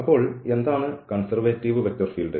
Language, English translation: Malayalam, So, what is a conservative vector field